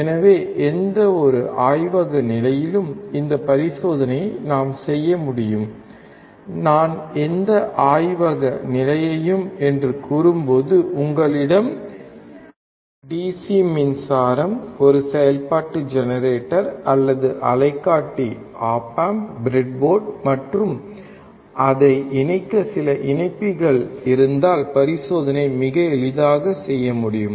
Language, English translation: Tamil, So, we can perform this experiment in any laboratory condition, when I say any laboratory condition, it means if you have your DC power supply, a function generator or oscilloscope, op amp, breadboard, and some connectors to connect it, then you can perform the experiment very easily